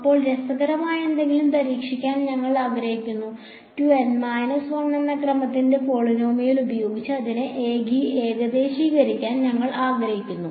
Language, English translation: Malayalam, Now, we want to try something interesting, we want to try to approximate it by a polynomial of order 2 N minus 1